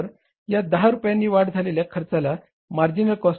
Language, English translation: Marathi, So this 10 rupees increase in the cost is called as the marginal cost